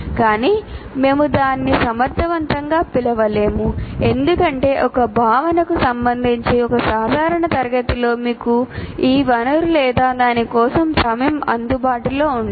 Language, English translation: Telugu, But we cannot call it efficient because in a regular class with respect to one concept, you are not likely to have this resource nor the time available for it